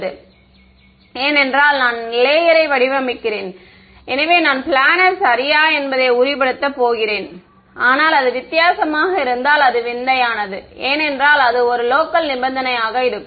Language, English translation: Tamil, Because I am designing of the layer, so I am going to I make sure that is planar ok, but if it is weird then it is weird then it will only be a local condition approximately too